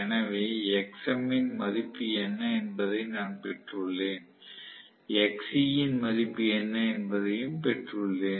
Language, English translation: Tamil, So, I have got what is the value of xm, I have also got what is the value of xc